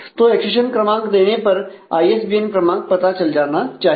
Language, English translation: Hindi, So, given the accession number, ISBN number should be determinable